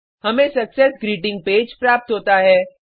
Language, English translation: Hindi, We get a Success Greeting Page